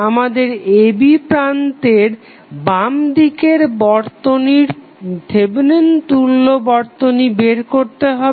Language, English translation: Bengali, We have to find the Thevenin equivalent to the left of the terminal a, b